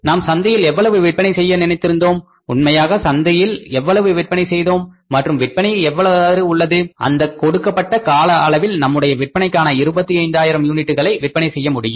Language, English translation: Tamil, We could have thought of that how much we are planning to sell in the market, how much we are actually selling in the market and how to push up the sales so that we can achieve the target of selling 25,000 units for that given time horizon